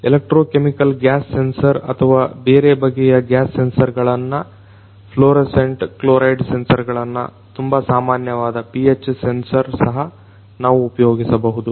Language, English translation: Kannada, We could have you know electrochemical electro chemical gas sensors or different other types of gas sensors also, fluorescent chloride sensors, fluorescent chloride sensors pH sensor is a very common one